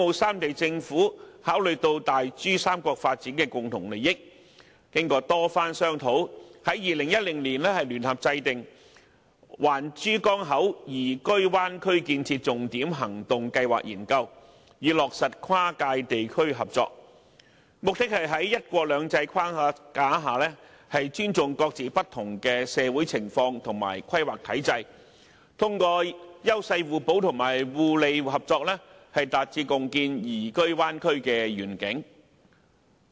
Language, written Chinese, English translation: Cantonese, 三地政府考慮到大珠三角發展的共同利益，經過多番商討，終在2010年聯合制訂《環珠江口宜居灣區建設重點行動計劃》研究，以落實跨界地區合作，目的是在"一國兩制"的框架下，尊重各自不同的社會情況和規劃體制，通過優勢互補和互利合作，達致共建宜居灣區的願景。, Based on their common interests in the development of the Greater Pearl River Delta Region the governments of the three places conducted many rounds of discussions and jointly formulated the Study on the Action Plan for Livable Bay Area of the Pearl River Estuary in 2010 for implementing cross - boundary regional cooperation . Having regard to the framework of one country two systems the objective of the plan is to achieve the vision for a Livable Bay Area through the enhancement of complementarity and mutually beneficial cooperation based on a respect for the respective social conditions and planning regimes of the three places